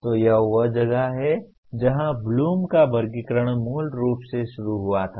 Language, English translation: Hindi, So that is where the Bloom’s taxonomy originally started